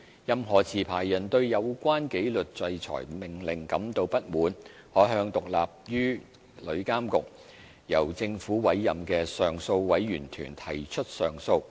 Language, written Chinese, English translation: Cantonese, 任何持牌人對有關紀律制裁命令感到不滿，可向獨立於旅監局、由政府委任的上訴委員團提出上訴。, Any licensee aggrieved by a disciplinary order may lodge an appeal with an appeal panel which is independent of TIA and appointed by the Government